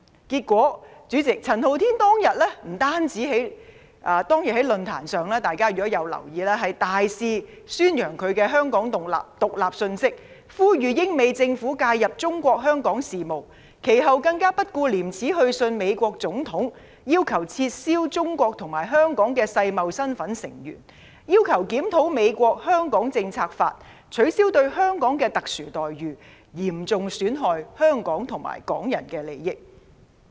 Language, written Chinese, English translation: Cantonese, 結果，主席，陳浩天當天不單在論壇上大肆宣揚"香港獨立"的信息，呼籲英、美政府介入中國香港事務，其後更不顧廉耻去信美國總統，要求撤銷中國及香港的世貿成員身份，又要求檢討美國《香港政策法》，取消對香港的特殊待遇，嚴重損害香港和港人的利益。, As a result President at the forum Andy CHAN not only widely publicized the message of Hong Kong independence but also urged the governments of the United Kingdom and the United States to interfere in the affairs of Hong Kong China . Later he even shamelessly sent a letter to the President of the United States calling for cancelling the membership of China and Hong Kong in the World Trade Organization reviewing the Hong Kong Policy Act of the United States and strapping the special treatment accorded to Hong Kong in an attempt to seriously undermine the interests of Hong Kong and Hong Kong people